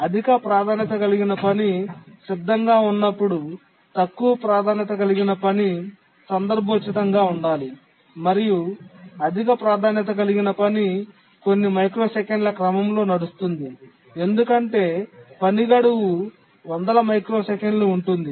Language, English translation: Telugu, When a high priority task becomes ready, the low priority task must be context switched and the high priority task must run and that should be of the order a few microseconds because the task deadline is hundreds of microseconds